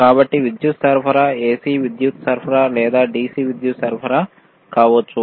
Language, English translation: Telugu, So, power supply can be AC power supply or DC power supply